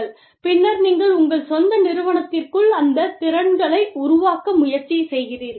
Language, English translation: Tamil, And then, you try and build those capabilities, within your own firm